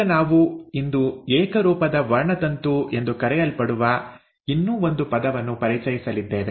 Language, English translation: Kannada, Now what we are going to introduce today is one more term which is called as the homologous chromosome